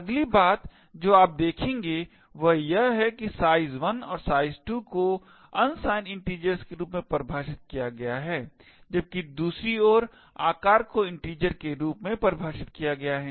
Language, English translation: Hindi, The next thing you would notice is that size 1 and size 2 is defined as unsigned integers while on the other hand size is defined as a size integer